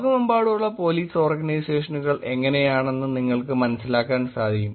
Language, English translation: Malayalam, Just to give you a sense of how the Police Organizations around the world are